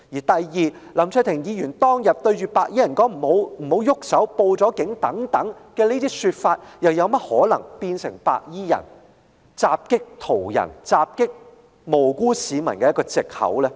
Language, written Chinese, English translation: Cantonese, 第二，林卓廷議員當天對白衣人所說的"不要動手"和"已經報警"等，又怎麼可能成為白衣人襲擊途人及無辜市民的藉口呢？, Second how could the words shouted by Mr LAM Cheuk - ting at those white - clad gangsters that day be a reason to explain away their attack on passers - by and innocent people?